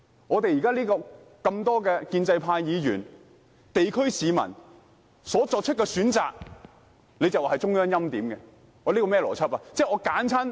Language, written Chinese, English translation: Cantonese, 我們眾多建制派議員和地區市民所選的，他便說是中央欽點，這是甚麼邏輯？, The candidate whom numerous pro - establishment Members and local residents support is alleged by him as preordained by the Central Authorities . What kind of logic is this?